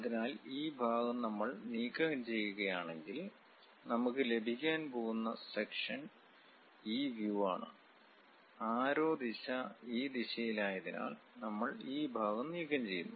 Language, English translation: Malayalam, So, if we are removing, this part, the section what we are going to get is these views; because we are removing this part, because arrow direction is in this direction